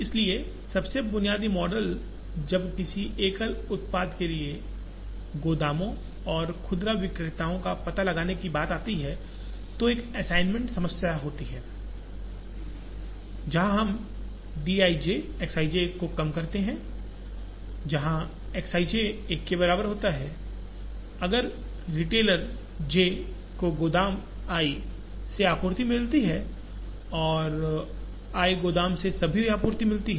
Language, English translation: Hindi, So, the most basic model when it comes to locating warehouses and retailers for a single product is an assignment problem, where we minimize d i j X i j, where X i j equal to 1 if the retailer j gets supply from warehouse i and gets all the supply from warehouse i